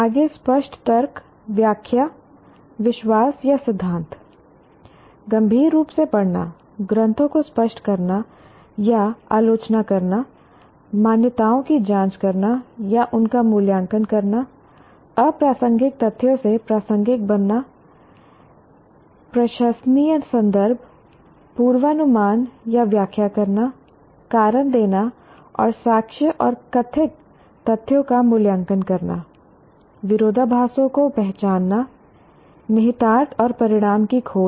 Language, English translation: Hindi, Further, clarifying arguments, interpretations, beliefs, or theories, reading critically, clarifying or critiquing text, examining or evaluating assumptions, distinguishing relevant from irrelevant facts, making plausible inferences, predictions or interpretations, giving reasons and evaluating evidence and alleged facts, recognizing contradictions, exploring implications and consequences